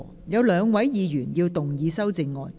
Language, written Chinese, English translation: Cantonese, 有兩位議員要動議修正案。, Two Members will move amendments to this motion